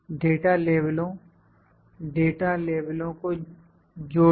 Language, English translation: Hindi, The data labels, add data labels